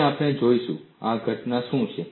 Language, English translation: Gujarati, And we would see, what is this phenomenon